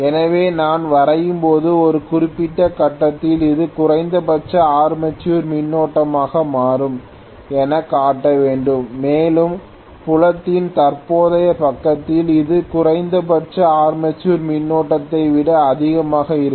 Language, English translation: Tamil, So when I draw I should show it as though at a particular point it becomes minimum armature current and in either of the field side, field current side it is going to be higher than the minimum armature current